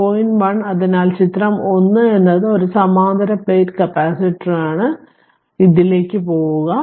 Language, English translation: Malayalam, 1; so figure 1 so is a parallel plate capacitor so, go to this